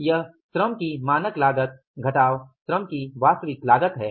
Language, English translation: Hindi, It is the standard cost of labor minus actual cost of labor